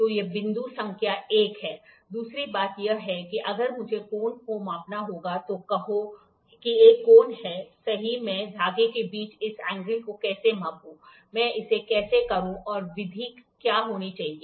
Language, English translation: Hindi, So, this is point number 1; second thing is if I have to measure the angle, say here is an angle, right how do I measure this angle measure angle between threads how do I do it what should be the method